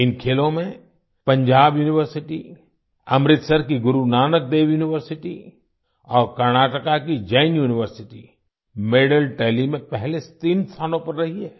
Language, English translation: Hindi, Our youth have broken 11 records in these games… Punjab University, Amritsar's Guru Nanak Dev University and Karnataka's Jain University have occupied the first three places in the medal tally